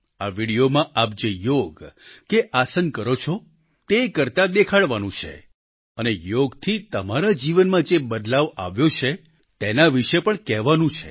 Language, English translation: Gujarati, In this video, you have to show performing Yoga, or Asana, that you usually do and also tell about the changes that have taken place in your life through yoga